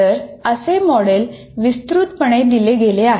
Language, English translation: Marathi, So broadly, that is a model that has been given